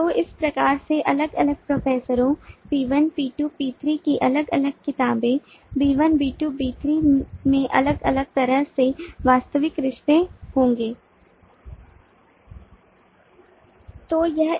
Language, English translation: Hindi, so in this way the different professor p1, p2, p3, different books b1, b2, b3 will have different kinds of actual relationships